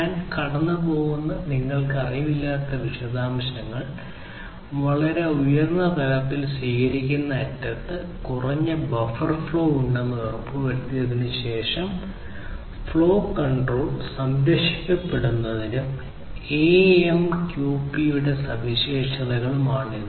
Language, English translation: Malayalam, The details of which you know I am not going through, but you know at a very high level this is the kind of feature that is there with AMQP to ensure that there is minimal buffer overflow at the receiving end and the flow control is preserved